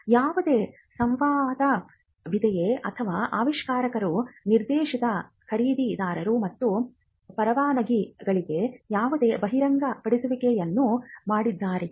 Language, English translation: Kannada, And whether there are any dialogue or whether the inventor had made any disclosure to prospective buyers and licenses